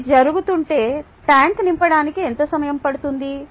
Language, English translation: Telugu, if this is happening, how long would it take to fill the tank